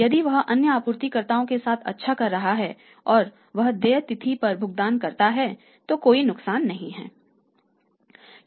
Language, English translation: Hindi, If he is doing well with the other suppliers and he feels making the payment on due date then there is no harm